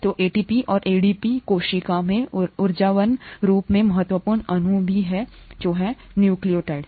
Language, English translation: Hindi, So ATP and ADP the energetically important molecules in the cell, are also nucleotides